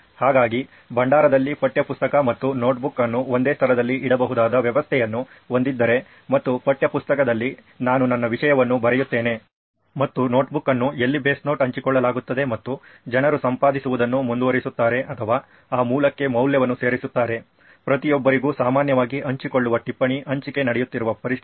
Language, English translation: Kannada, So I think if a repository has a system where textbook and notebook can be put in at the same place, and on the textbook I write my thing and notebook is where the base note is shared and people keep editing or keep adding value to that base note which is shared commonly to everyone, is the situation where the sharing is happening